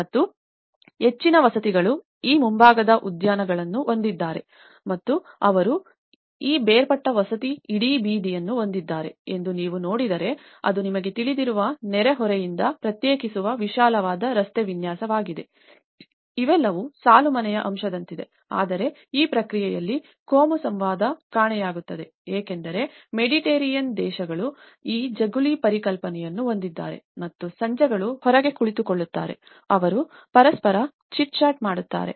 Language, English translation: Kannada, And much of the housing, if you can see that they have these front gardens and they have these detached housing and the whole street, it was a vast street layouts that separates from the neighborhood you know, they are all like a row house aspect but that communal interaction gets missing in this process because that the Mediterranean countries they have this veranda concepts and the evenings sit outside, they chit chat with each other